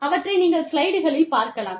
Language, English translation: Tamil, You will get to see, the slides